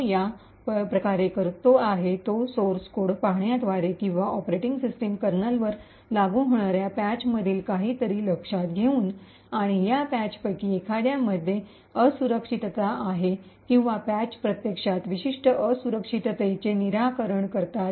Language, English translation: Marathi, The way he do to this is by looking at the source code or by noticing something in the patches that get applied to the operating system kernel and find out that there is a vulnerability in one of these patches or the patches actually fix a specific vulnerability